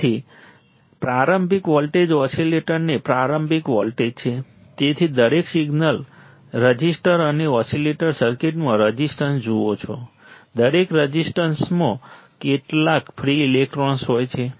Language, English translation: Gujarati, So, the starting voltage the starting voltage of the oscillator, so every resistance you see the resistance in the oscillator circuit, every resistance has some free electrons